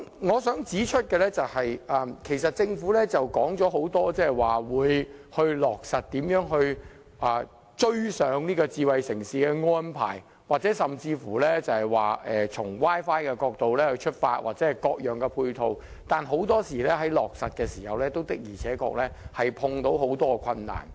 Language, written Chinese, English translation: Cantonese, 我想指出的是，政府多次表示要落實各項發展智慧城市的安排，甚至要以 Wi-Fi 作為出發點及提供各項配套等。但是，很多時候在落實的時候，也遇到很多困難。, What I wish to point out is that while the Government has said repeatedly that various arrangements will be implemented for smart city development that Wi - Fi service will even be used as a starting point that various support facilities will be provided and so on it is often the case that the Government will encounter many difficulties in the course of implementation